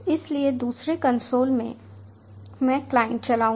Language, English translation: Hindi, so in the second console i will run the client